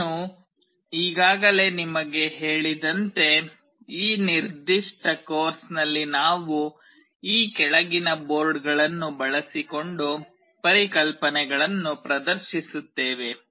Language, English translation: Kannada, As I have already told you, in this particular course we shall be demonstrating the concepts using the following boards